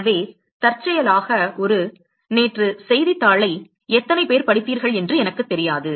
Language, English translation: Tamil, So, incidentally there is a, I do not know how many of you read the newspaper yesterday